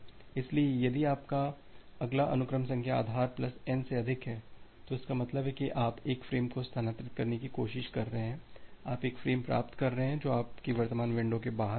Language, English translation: Hindi, So, if your next sequence number is greater than base plus N, that means, you are trying to transfer a frame you are receiving a frame which is outside your current window